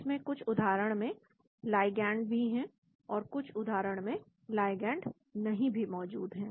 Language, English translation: Hindi, it also has ligands also present in some cases, and in some cases ligands are also not present